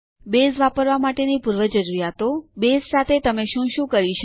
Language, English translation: Gujarati, Prerequisites for using Base What can you do with Base